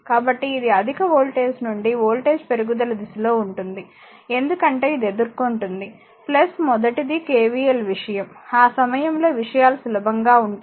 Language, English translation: Telugu, So, it is from the voltage your from the higher your what you call in the direction of the voltage rise, because it will encounter plus first one is the KVL thing at the time things will be easier